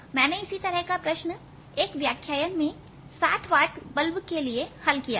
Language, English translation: Hindi, i had solved a similar problem in the lectures for a sixty watt bulb